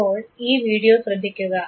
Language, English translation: Malayalam, Now look at this very video